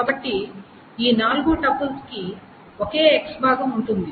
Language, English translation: Telugu, So all these four tuples of the same x part